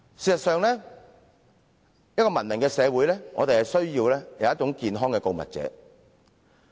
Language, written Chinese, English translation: Cantonese, 事實上，一個文明社會需要健康的告密者。, As a matter of fact a civilized society needs healthy whistle - blowers